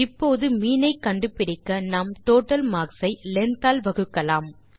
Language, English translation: Tamil, Now to get the mean we can divide the total marks by the length